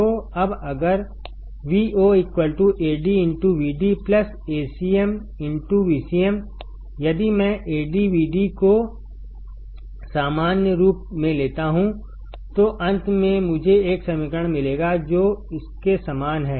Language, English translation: Hindi, So, now if Vo equals to Ad into Vd plus Acm into Vcm; if I take AdVd as common, then finally, I will get an equation which is similar to this